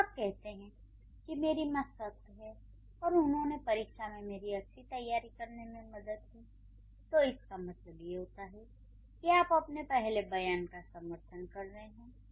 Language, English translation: Hindi, So, when you say my mother is strict and she helped to prepare well in the exam, that means you are supporting the previous statement